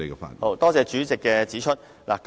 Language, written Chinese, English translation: Cantonese, 明白，多謝主席提醒。, Get it . Thank you President for reminding me